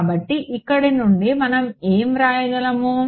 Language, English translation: Telugu, So, from here what can we write